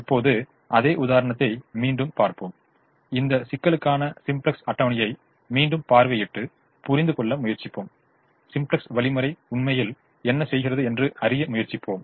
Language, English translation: Tamil, now let's go back to the same example, revisit the simplex table for this problem and try to understand what the simplex algorithm is actually doing